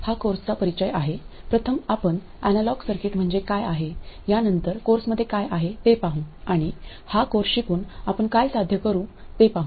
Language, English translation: Marathi, First we will go through what analog circuits are, then see what the contents of the course will be and go through what we hope to achieve by learning this course